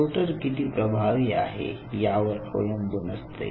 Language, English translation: Marathi, So, depending on how powerful is your sorter